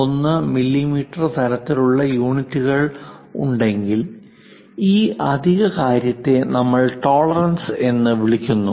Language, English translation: Malayalam, 51 mm kind of units this extra thing what we call tolerances